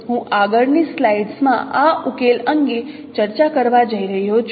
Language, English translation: Gujarati, I am going to discuss this solution in the next slide